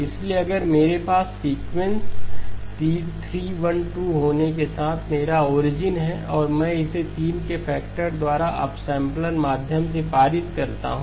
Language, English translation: Hindi, So if I have sequence 3, 1, 2 with this being my origin and I pass it through an upsampler by a factor of 3 okay